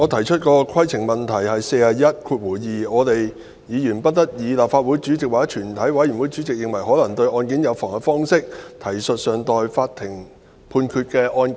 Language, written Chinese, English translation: Cantonese, 主席，規程問題，《議事規則》第412條規定："議員不得以立法會主席或全體委員會主席認為可能對案件有妨害的方式，提述尚待法庭判決的案件。, President a point of order RoP 412 provides that Reference shall not be made to a case pending in a court of law in such a way as in the opinion of the President or Chairman might prejudice that case